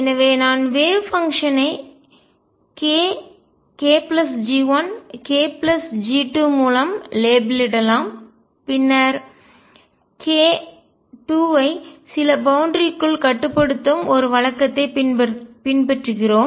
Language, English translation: Tamil, So, I could label the wave function by either k k plus G 1 k plus G 2 and then we follow a convention that we restrict k 2 within certain boundaries